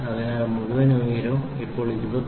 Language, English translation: Malayalam, So, this entire height is now 29